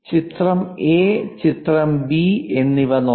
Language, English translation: Malayalam, Let us look at picture A and picture B